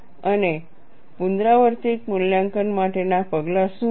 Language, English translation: Gujarati, And what are the steps for an iterative evaluation